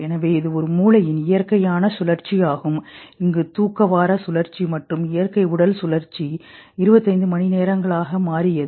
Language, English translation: Tamil, So the natural cycle of body and brain, the sleep wake cycle and all, turned out to be around 25 hours